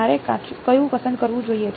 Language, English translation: Gujarati, Which one should I choose